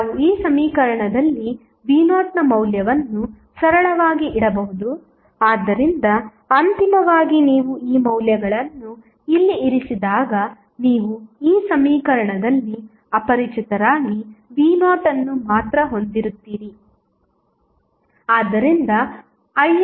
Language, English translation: Kannada, We can simply put the value of v naught in this equation so finally when you put these value here you will have only v naught as an unknown in this equation